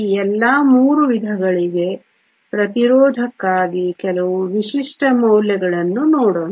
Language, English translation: Kannada, Let us look at some typical values for resistivity for all these three types